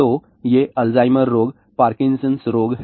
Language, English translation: Hindi, So, these are Alzheimer disease, Parkinson's disease